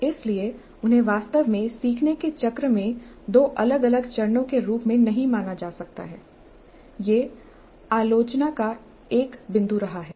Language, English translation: Hindi, So, they cannot be really considered as two distinct separate stages in the learning cycle